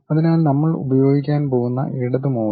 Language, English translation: Malayalam, So, the left mouse what we are going to use